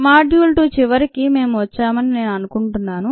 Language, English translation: Telugu, i think we have come to the end of a module two